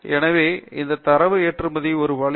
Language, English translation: Tamil, So this is a way to export the data